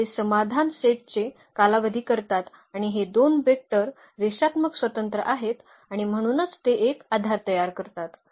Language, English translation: Marathi, So, they span the solution set and these two vectors are linearly independent and therefore, they form a basis